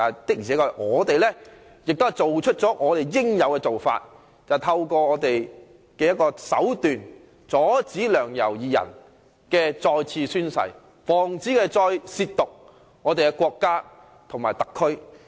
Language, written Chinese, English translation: Cantonese, 不過，我們做了我們應該做的事，便是透過手段阻止梁、游二人再次宣誓，防止他們再褻瀆我們的國家和特區。, However we had done what we should do and that is we employed some tactics to stop Sixtus LEUNG and YAU Wai - ching from taking the oath for the second time with a view to preventing them from defiling our country and the Hong Kong Special Administrative Region HKSAR again